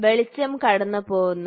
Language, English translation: Malayalam, So, it passes through